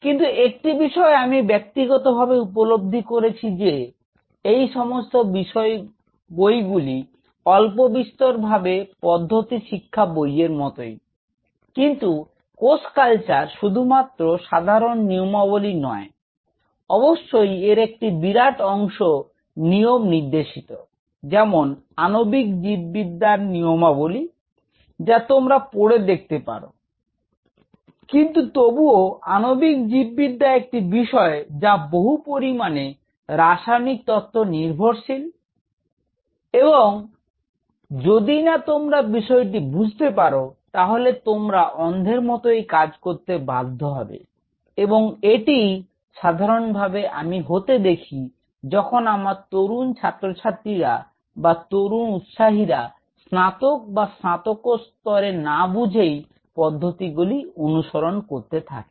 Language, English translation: Bengali, But one thing which I personally have felt is that somewhere these books are more or less like a protocol book, but cell culture has such as not just a mere protocol is definitely, there is a significant part of it which is protocol driven just like an molecular biology in a manual, even you can go through it, but a still molecular biology has a subject has tremendous amount of chemical logics and unless you understand that you will be working like a blind person; that is precisely what happens in cell culture that my young student or young enthusiast take under graduate or a post graduate; just embraces that this is technically just let follow it